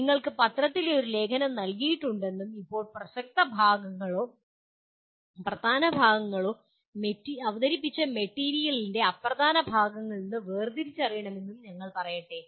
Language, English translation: Malayalam, Let us say you are given an article written in the newspaper and now you have to distinguish relevant parts or important parts from unimportant parts of the presented material